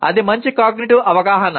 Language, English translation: Telugu, That is good metacognitive awareness